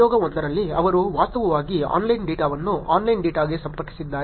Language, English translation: Kannada, In experiment one, they actually connected the online data to the online data